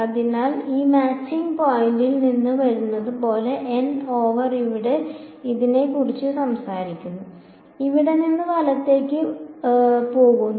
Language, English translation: Malayalam, So, this is like coming from the matching point and n over here talks about this n over here is going from here all the way to the right right